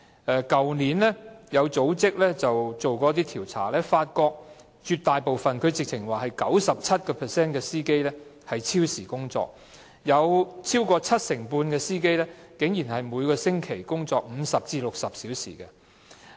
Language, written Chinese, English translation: Cantonese, 去年有組織曾進行一些調查，發現絕大部分，甚至是有 97% 的車長超時工作，超過七成半的車長竟然每星期工作50至60小時。, Last year an organization conducted some surveys and found that an overwhelming majority or as many as 97 % of bus captains worked overtime . Over 75 % of bus captains outrageously worked 50 to 60 hours per week